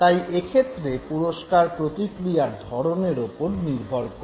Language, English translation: Bengali, So reward is always contingent upon the occurrence of the response